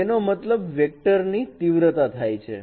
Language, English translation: Gujarati, That means the magnitude of that vector